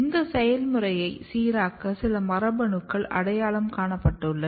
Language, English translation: Tamil, And there are some genes which has been identified to regulate the process